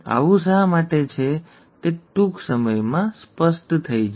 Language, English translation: Gujarati, Why this is so will become clear very soon